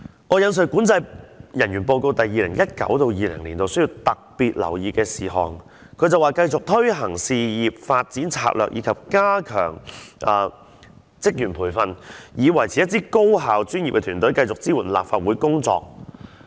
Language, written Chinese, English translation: Cantonese, 我引述管制人員報告 2019-2020 年度需要特別留意的事項，它指出會繼續推行事業發展策略及加強職員培訓，以維持一支高效專業的團隊，持續支援立法會的工作。, I now quote the matters requiring special attention in 2019 - 2020 from the Controlling Officers Report . It says that the various Divisions will continue to implement career development strategies and enhance staff training for maintaining an effective and professional team to support the work of the Council on a sustainable basis